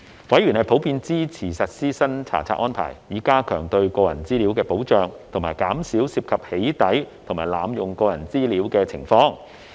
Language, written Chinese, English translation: Cantonese, 委員普遍支持實施新查冊安排，以加強對個人資料的保障及減少涉及"起底"及濫用個人資料的情況。, Members of the Subcommittee generally supported the implementation of the new inspection regime in order to enhance protection for personal information and reduce cases of doxxing and personal data misuse